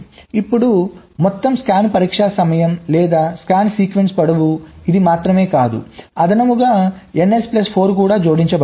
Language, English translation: Telugu, so now the total scan test time or the scan sequence length will be: not only this, plus this additional n